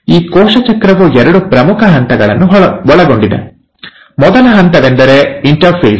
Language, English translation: Kannada, Now, so, this cell cycle consists of two major phases; the first phase is the ‘interphase’